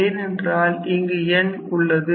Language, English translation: Tamil, So, we do not write n here